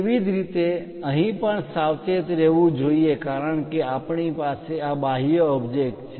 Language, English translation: Gujarati, Similarly, one has to be careful here because we have this exterior object